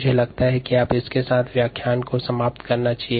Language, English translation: Hindi, i think we will finish of lecture three with this